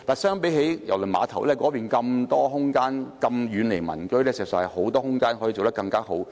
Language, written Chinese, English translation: Cantonese, 相比之下，郵輪碼頭有大量空間、遠離民居，可以比大球場做得更好。, With a large space far away from residential buildings KTCT can do a better job than the stadium